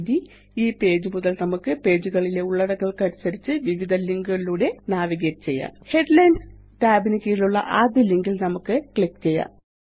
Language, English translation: Malayalam, Now, from this page, we can navigate to the various links to view content in those pages Let us click on the first link below the Headlines tab